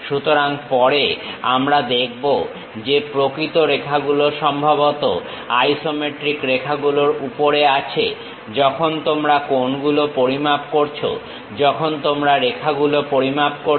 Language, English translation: Bengali, So, later we will see that, the true lines are perhaps on the isometric lines, when you are measuring the angles, when you are measuring the lines